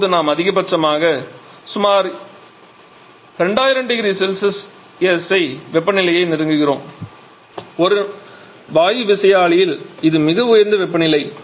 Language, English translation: Tamil, And we are now approaching a maximum temperature of about 2,000 degree Celsius in a gas turbine which is an extremely high temperature that we are talking about